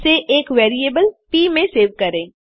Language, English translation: Hindi, Save this to the variable,say p